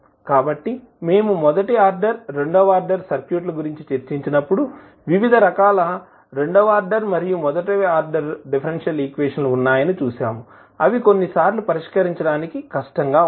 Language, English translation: Telugu, So, remember if we, when we discussed the first order, second order circuits, we saw that there were, various second order and first order differential equations, which are sometimes difficult to solve